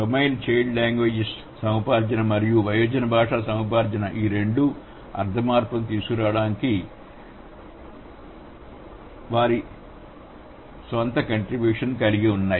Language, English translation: Telugu, So, both the domains, child language acquisition and adult language acquisition, they have their own contribution to bring the semantic change